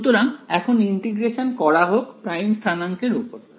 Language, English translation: Bengali, So, now, integrate over primed coordinates